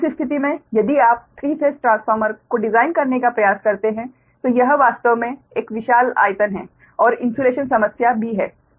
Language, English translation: Hindi, in that case, if you try to design a three phase transformer then it occupies actually a huge volume and insu insulation problem also right